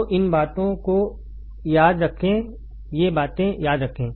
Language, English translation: Hindi, So, remember these things remember these things